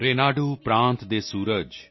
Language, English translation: Punjabi, The Sun of Renadu State,